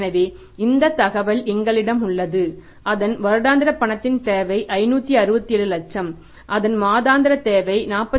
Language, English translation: Tamil, There is a firm whose annual requirement of the cash is 567 lakh whose monthly requirement of the cash is 47